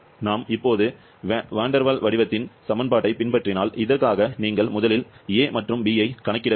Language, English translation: Tamil, If we follow the van der Waals equation of state now, for this you have to compute the, a and b first